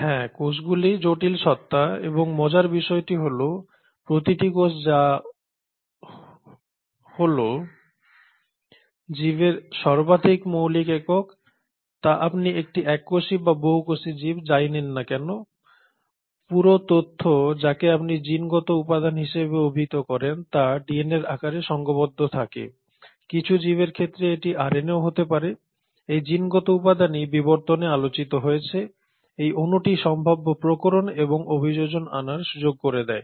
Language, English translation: Bengali, So yes, cells are complex entities and the beauty is each cell which is the most fundamental unit whether you take a single celled organism or a multicellular organism has its entire information packaged which is what you call as the genetic material packaged in the form of DNA in some organisms it can be RNA too, and it is this genetic material which has been discussed in evolution, is the molecule which provides the window for possible variations and adaptations